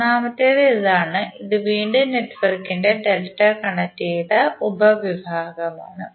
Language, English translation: Malayalam, Third onE1 is, this this and this is again a delta connected subsection of the network